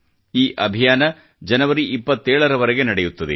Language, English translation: Kannada, These campaigns will last till Jan 27th